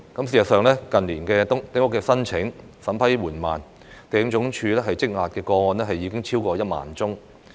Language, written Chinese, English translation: Cantonese, 事實上，近年丁屋申請審批緩慢，地政總署積壓的個案已超過1萬宗。, In fact the Lands Department has a backlog of over 10 000 applications for building small houses due to the slow vetting and approval process in recent years